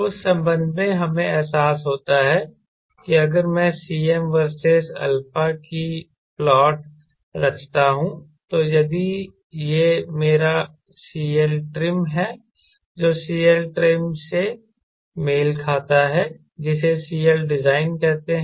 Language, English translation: Hindi, and in that connection we realize that if i plot cm versus alpha, then if this is my alpha trim, it is which corresponds to a cl trim and which is, say, c l design